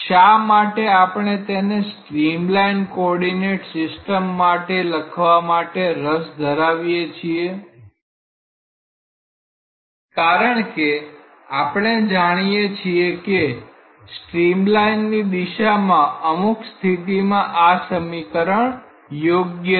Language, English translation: Gujarati, So, why we are interested to write it in a streamline coordinate system because, we know that along a streamline under certain conditions these equations are valid